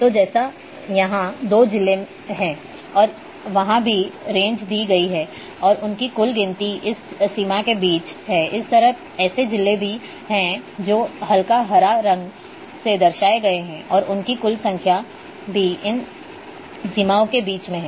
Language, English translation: Hindi, So, like here there are two districts and a there the range is also given and their total count is between this and then between this range similarly there are there are districts which are having say light green colour and their total count is falling between these range